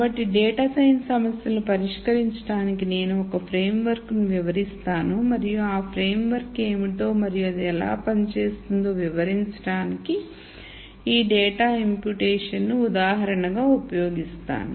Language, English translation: Telugu, So, I will describe a framework for solving data science problems and use this data imputation as an example to explain what that framework is and how does it work